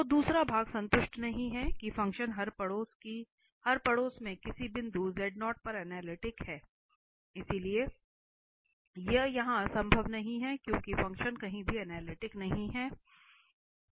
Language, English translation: Hindi, So, the second part is not satisfied that the function is analytic at some point in every neighbourhood of z0, so this is not possible here because the function is nowhere analytic